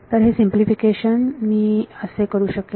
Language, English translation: Marathi, So, I can do that simplification